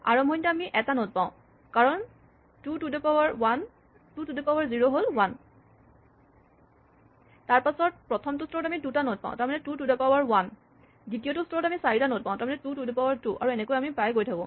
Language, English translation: Assamese, Initially, we have 1 node 2 to the 0, then at the first level we have 2 nodes 2 to the 1 and second level we have 4 nodes 2 to the 2 and so on